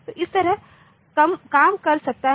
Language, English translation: Hindi, So, like that it can go